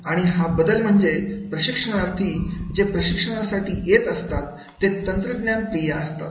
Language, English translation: Marathi, Change is that is the trainees, those who are coming, they are also more tech savvy